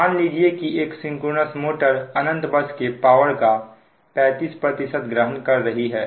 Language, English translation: Hindi, it is given that synchronous motor receiving thirty five percent of the power that is capable of receiving from infinite bus